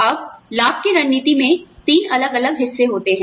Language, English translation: Hindi, Now, the benefits strategy consists of three different parts